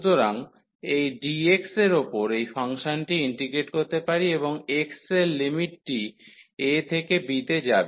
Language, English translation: Bengali, So, either we can integrate this function over this dx and the limit for x will go from a to b